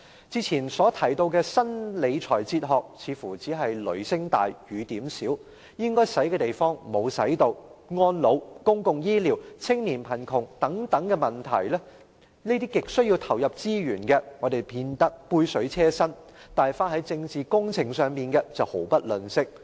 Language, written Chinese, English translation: Cantonese, 之前提到的新理財哲學似乎只是雷聲大，雨點小，應花的地方沒有花——安老、公共醫療和青年貧窮等亟需投入資源的問題只見杯水車薪，但花在政治工程上的則毫不吝嗇。, Regarding the new fiscal philosophy the Government mentioned earlier it seems to be all talk but no action . Money is not spent properly where areas greatly in need of resources such as elderly care public health care and youth poverty are only provided with meagre resources but political projects are lavished with funds